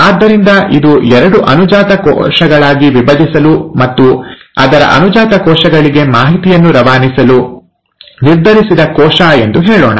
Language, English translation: Kannada, So let us say, this is the cell which has decided to divide into two daughter cells and pass on the information to its daughter cells